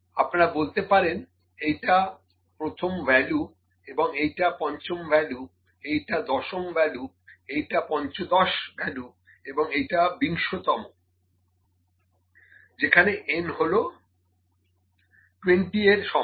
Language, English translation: Bengali, You can say, this is first value, this is fifth, this is tenth, this is fifteenth and this is twentieth for n is equal to 20, ok